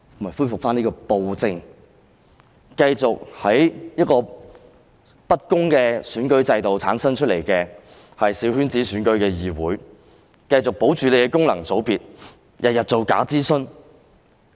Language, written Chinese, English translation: Cantonese, 就是恢復暴政，繼續透過小圈子選舉這樣不公的選舉制度產生議會，保留功能界別，每天做假諮詢。, It is to restore tyranny to continue to form the representative councils through such unfair electoral systems as small - circle elections to retain functional constituencies and carry out bogus consultations every day